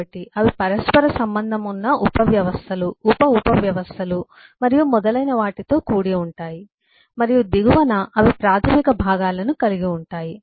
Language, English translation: Telugu, so they are composed of interrelated subsystems, sub subsystems and so on, and at the bottom they have the elementary components and we can understand